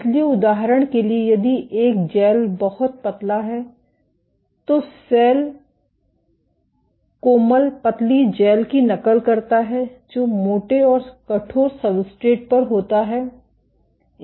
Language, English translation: Hindi, So, for example, if a gel is very thin then cell responses on soft thin gels mimic that on thick and stiff substrates